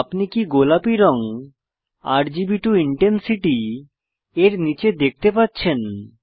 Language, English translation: Bengali, Do you see this pink color bar under RGB to intensity